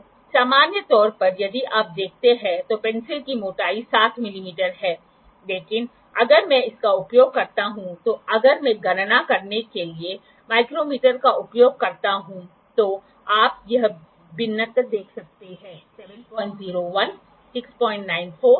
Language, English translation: Hindi, So, in general the thickness of the pencil if you see is 7 mm but if I use it if I use the micrometer to calculate you can see this variation, 7